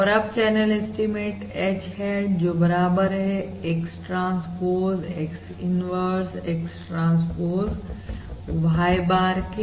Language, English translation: Hindi, And now the channel estimate: H hat equals X transpose X inverse, x transpose y bar